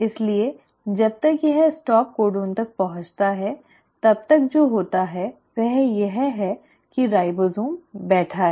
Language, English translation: Hindi, So by the time it reaches the stop codon what has happened is, the ribosome is sitting